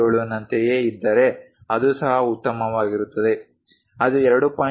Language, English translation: Kannada, 77 that is also perfectly fine, if it is something like 2